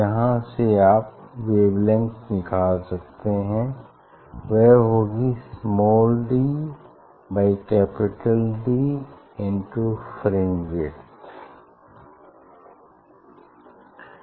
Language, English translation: Hindi, From here what is the wavelength if you want to find out; it is small d by capital D into fringe width